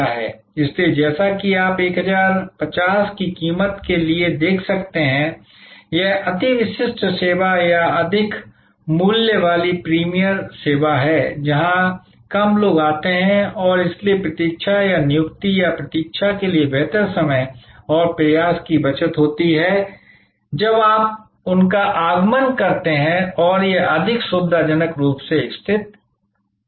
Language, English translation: Hindi, So, as you can see for at price of 1050, this is the more exclusive service or more a higher price premium service, where fewer people come and therefore, there is a better time and effort saving of waiting or for appointment or waiting, when you arrive their and it may be more conveniently located and so on